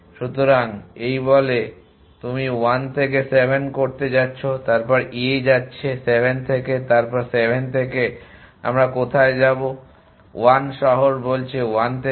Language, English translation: Bengali, So, this say you are going to 7 from 1, we a going to 7 then from 7 where are we going to go 1 city says go to 1